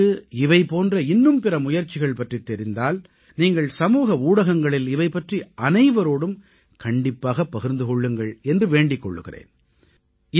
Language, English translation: Tamil, If you are aware of other such initiatives, I urge you to certainly share that on social media